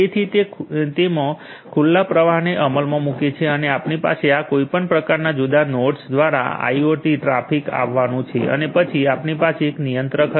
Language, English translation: Gujarati, So, which implements the open flow in it and we are going to have a IIoT traffic coming through any of these different nodes and then we will have a controller right